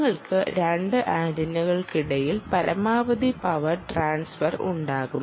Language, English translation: Malayalam, right, you have the maximum power transfer between the two antenna